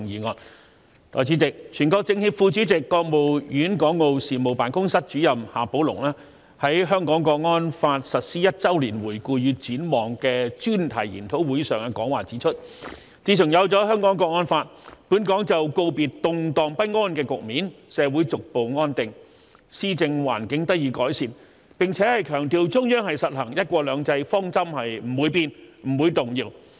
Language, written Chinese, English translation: Cantonese, 代理主席，全國政協副主席、國務院港澳事務辦公室主任夏寶龍在"香港國安法實施一周年回顧與展望"專題研討會上的講話指出，自從有了《香港國安法》，本港就告別動盪不安的局面，社會逐步安定，施政環境得以改善，並強調中央實行"一國兩制"方針不會變、不會動搖。, Deputy President Mr XIA Baolong Vice - Chairman of the National Committee of the Chinese Peoples Political Consultative Conference and Director of the Hong Kong and Macao Affairs Office of the State Council pointed out in his speech at the symposium Review and Prospect of the First Anniversary of the Implementation of the Hong Kong National Security Law that since the introduction of the Hong Kong National Security Law Hong Kong has got rid of the turbulent situation and the society has gradually stabilized with an improved governance environment . He also stressed that the Central Governments policy of implementing one country two systems will not change or waver